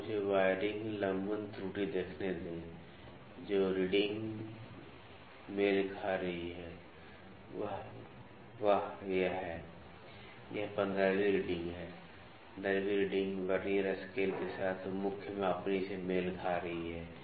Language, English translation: Hindi, So, let me see wiring parallax error the reading that is coinciding is wow it is 15th reading, 15th reading is coinciding of the Vernier scale with the main scale